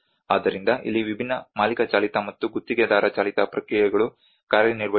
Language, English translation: Kannada, So this is where the different owner driven and contractor driven processes work